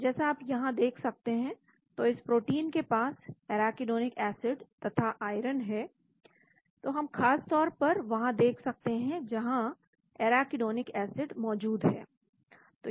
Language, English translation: Hindi, So as you can see here, so this protein has arachidonic acid as well as the iron, so we can specifically look at where the arachidonic acid present